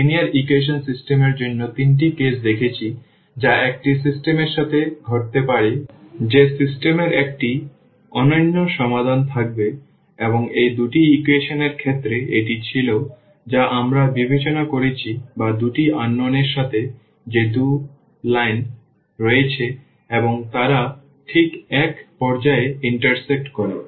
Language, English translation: Bengali, We have seen the 3 cases for the system of linear equations that can happen to a system that the system will have a unique solution and that was the case in terms of the these two equations which we have consider or with two unknowns that there are 2 lines and they intersect exactly at one point